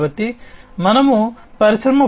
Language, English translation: Telugu, So, when we talk about industry 4